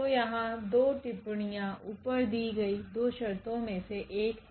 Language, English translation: Hindi, So, here 2 remarks, one the 2 conditions given above